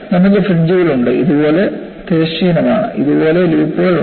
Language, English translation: Malayalam, You have fringes, are horizontal like this, loops like this